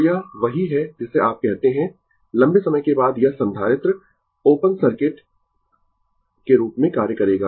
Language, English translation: Hindi, So, this your what you call this after long time this capacitor will act as open circuit, right